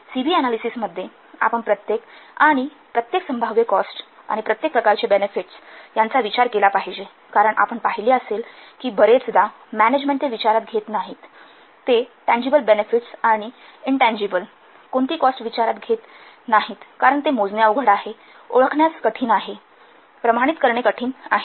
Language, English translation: Marathi, We have to consider each and every possible type of cost, each and every type of benefit during the CB analysis because we have seen that very upon the management, they are not considering, they are not taking into account the intangible benefits and intangible what cost because they are difficult to measure, the difficult to identifiable, the difficult to quantifiable